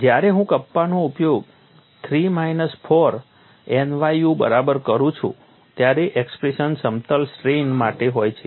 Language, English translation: Gujarati, When I use kappa equal to 3 minus 4 nu the expressions are for plane strain